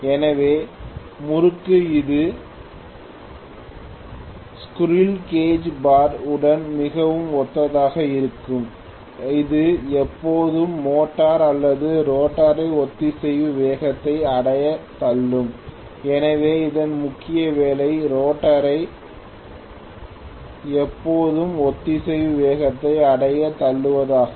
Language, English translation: Tamil, So the torque, that is generated by the damper bars which is very similar to the squirrel cage bar that will always be pushing the motor or rotor to reach synchronous speed, so its major job is to push the rotor always to attain synchronous speed